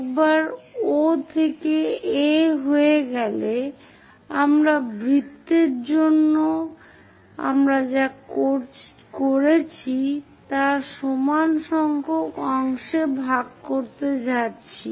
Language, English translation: Bengali, Once it is done O to A, we are going to divide into the same equal number of parts what we have done for employed for the circle